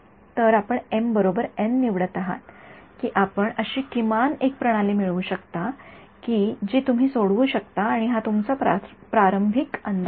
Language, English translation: Marathi, So, you choose m equal to n you can at least get a system which you can solve and that is your good initial guess ok